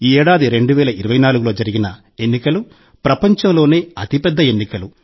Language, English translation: Telugu, The 2024 elections were the biggest elections in the world